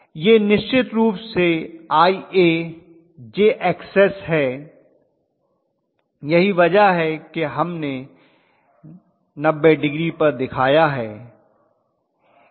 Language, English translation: Hindi, This is of course Ia jXs that is why 90 degree shift we have shown